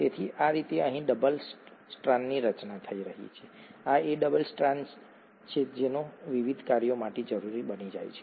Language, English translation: Gujarati, So this is how the double strand is getting formed here and this double strand becomes essential for its various functions